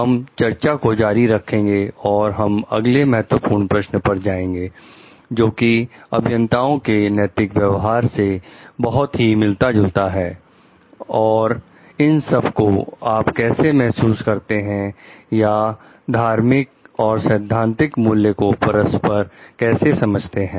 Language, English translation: Hindi, We will continue with the discussion and we will go to the next key question which are relevant for like ethical conducts for engineers is like, how at all do you feel like the or understand religious and ethical values to be related